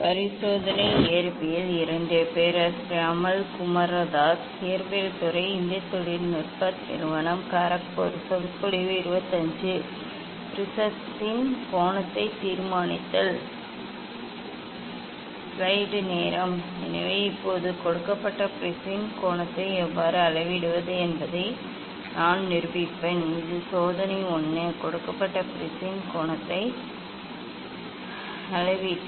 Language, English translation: Tamil, So now, I will demonstrate how to measure the angle of a given prism this is the experiment 1; measurement of angle of a given prism